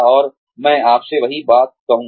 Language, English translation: Hindi, And, i will say the same thing to you